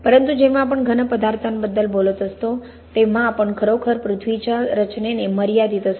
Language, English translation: Marathi, But when we are talking about solid materials we are really confined by the composition of the earth